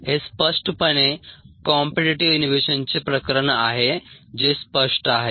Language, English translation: Marathi, so this is clearly a case of competitive inhibition